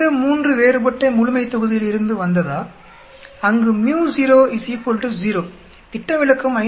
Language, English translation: Tamil, Does 3 come from a different population, where µ0 is equal to 0, the standard deviation is 5